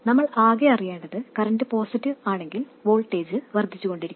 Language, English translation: Malayalam, All we need to know is that if the current is positive the voltage will go on increasing